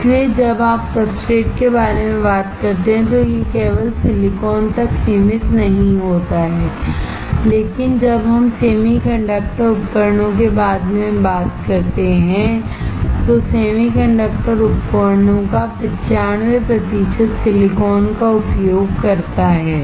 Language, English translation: Hindi, So, when you talk about substrate it does not restrict to only silicon, but when we talk about semi conductor devices 95 percent of the semi conductor devices uses silicon